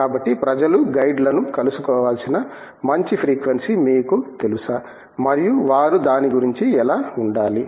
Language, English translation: Telugu, So, what do you think are you know good frequencies with which people should be meeting the guides and how they should be going about it